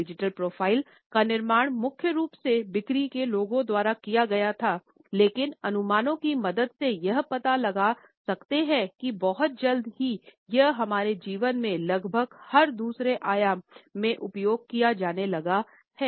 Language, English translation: Hindi, The creation of the digital profile was primarily done by the sales people, but with the help of the connotations we find that very soon it started to be used in almost every other dimension of our life